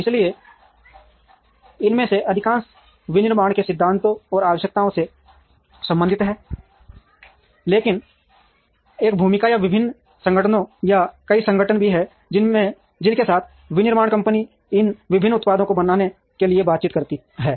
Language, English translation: Hindi, So, most of these relate to principles and requirements of manufacturing, but there is also a role or different organizations or multiple organizations, with whom the manufacturing firm interacts to make these variety of products